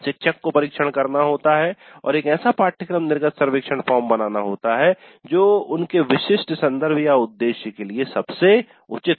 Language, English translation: Hindi, One has to experiment and come out with a course exit survey form which works best for their specific context